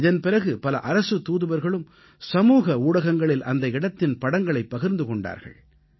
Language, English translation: Tamil, Following that, many Ambassadors shared those photos on social media, writing about their glorious experiences